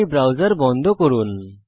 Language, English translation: Bengali, Lets close this browser